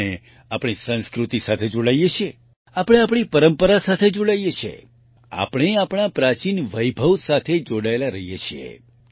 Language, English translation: Gujarati, We get connected with our Sanskars, we get connected with our tradition, we get connected with our ancient splendor